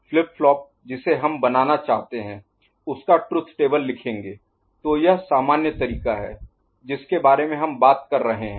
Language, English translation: Hindi, The flip flop that we want, truth table of that would be written, so that is this generalized you know, method we are talking about